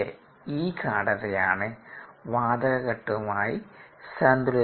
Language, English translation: Malayalam, this is the concentration that is in equilibrium with the gas phase